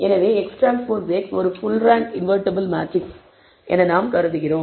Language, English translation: Tamil, So, we assume that X transpose X is a full rank matrix invertible